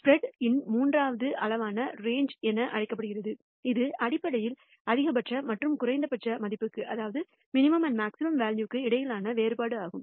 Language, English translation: Tamil, A third measure of spread is what is called the range that is basically the difference between the maximum and minimum value